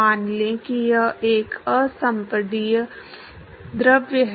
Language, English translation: Hindi, Assume that it is an incompressible fluid